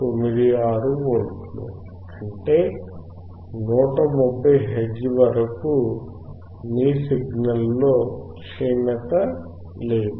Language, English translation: Telugu, 96 volts; which means, there is no deterioration in your signal until 150 hertz